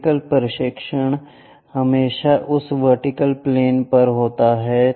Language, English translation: Hindi, The vertical projection always be on that vertical plane